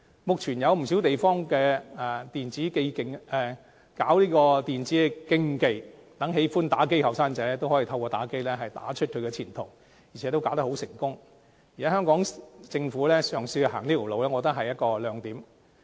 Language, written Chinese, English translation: Cantonese, 目前，不少地方舉辦電子競技，讓喜愛打機的年青人可透過打機打出前途，並能打得成功，如果香港政府嘗試走這條路，我覺得是一個亮點。, At present there are many places holding e - sports competitions . Through such competitions young people who like playing e - games may find the way to a promising future . It will be a good idea for the Hong Kong Government to try this out